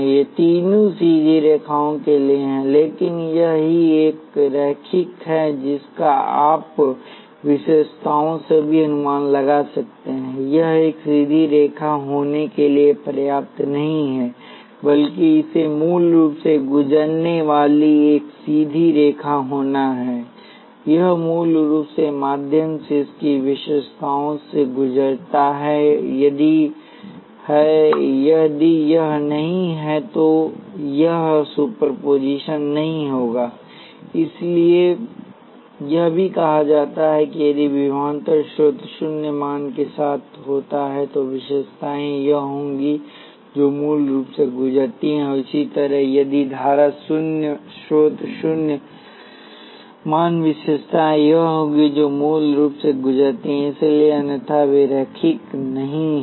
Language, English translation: Hindi, All these three are to the straight lines, but only this one is linear that you can guess from the characteristics also, it is not enough for it to be a straight line, but it has to be a straight line passing through the origin, it passes to through origin its linear characteristics; if it is not, it is not, it would not superposition, so that is why also said if the voltage source happens to a zero valued, the characteristics would be this, which passes through the origin; and similarly if the current sources zero valued characteristics would be this which passes through the origin, so otherwise they are not linear